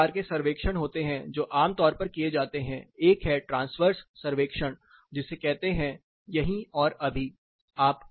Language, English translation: Hindi, There are two types of surveys which are typically done, one is the transverse survey which is called right here right now